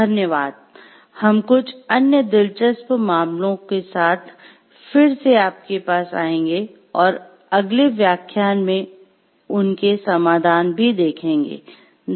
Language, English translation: Hindi, Thank you, we will come back to you again with some other in interesting cases and their solution in the next lectures to follow